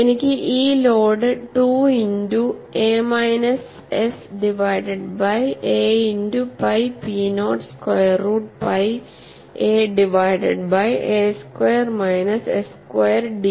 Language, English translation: Malayalam, I have this load as 2 into a minus s divided by a into pi p naught square root of pi a divided by a squared minus s squared ds